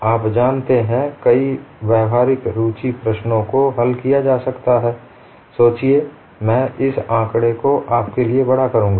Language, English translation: Hindi, You know many problems, which are of practical interest could be solved I think, I would enlarge this figure for you